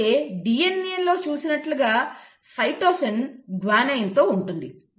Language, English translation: Telugu, And then again as seen in DNA for cytosine you will always have a guanine